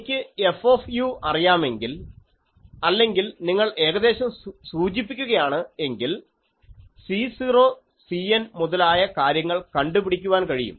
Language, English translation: Malayalam, So, if I know F u or if you probably specified, I can find out this C 0 and this C n things